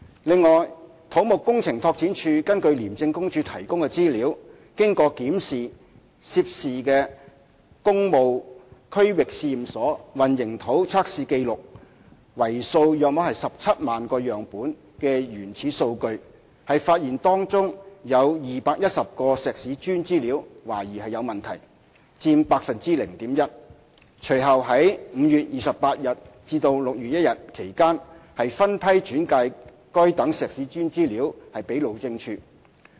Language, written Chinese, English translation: Cantonese, 另外，土木工程拓展署根據廉署提供的資料，經檢視涉事的工務區域試驗所混凝土測試紀錄為數約17萬個樣本的原始數據，發現當中有210個石屎磚資料懷疑有問題，佔 0.1%， 隨後於5月28日至6月1日期間分批轉介該等石屎磚資料給路政署。, Moreover based on the information provided by ICAC CEDD had examined the raw data of a total of about 170 000 concrete test records of the Public Works Regional Laboratory concerned . It was found that information on 210 concrete cubes was suspected to be problematic representing 0.1 % . CEDD referred the information on those concrete cubes to HyD by batches between 28 May and 1 June